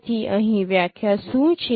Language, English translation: Gujarati, So what is the definition here